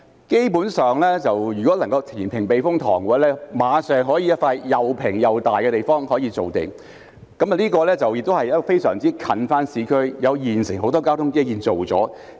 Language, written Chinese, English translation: Cantonese, 基本上，如果能夠填平避風塘，馬上可以有一幅又平又大的地方可以造地，亦與市區非常接近，而且現時已有很多交通基建建成。, In fact reclamation at the typhoon shelter can immediately create a vast stretch of flat land in close proximity to the urban area and many transport infrastructure facilities have already been completed there